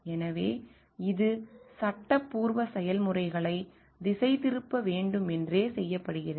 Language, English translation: Tamil, So, this is purposefully done to distract the processes legal processes